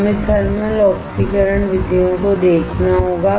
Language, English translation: Hindi, We have to see the thermal oxidation methods